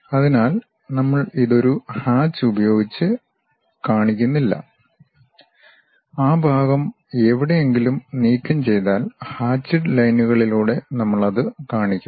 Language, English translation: Malayalam, So, we do not show it by any hatch; wherever material has been removed that part we will show it by hatched lines